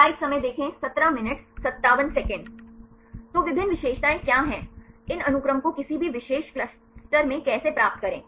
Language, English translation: Hindi, So, what are the various features, how to get these sequences in a particular cluster